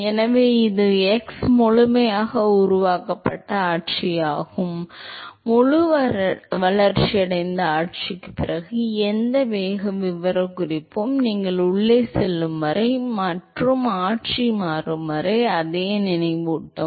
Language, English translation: Tamil, So, this is x fully developed regime, anywhere after the fully developed regime the velocity profile will continue to remind the same as long as you go inside and as long as the regime changes